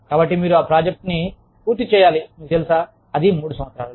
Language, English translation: Telugu, So, you have to finish that project, had the, you know, in three years